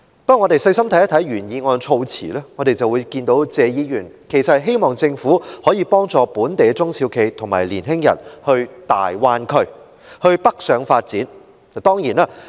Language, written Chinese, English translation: Cantonese, 不過，若仔細閱讀原議案的措辭，便會發覺謝議員其實是希望政府可以幫助本地的中小企及年青人北上到粵港澳大灣區發展。, However after reading the wordings of the original motion carefully we find that Mr TSE actually hopes that the Government would help local SMEs and young people to go north to pursue development in the Guangdong - Hong Kong - Macao Greater Bay Area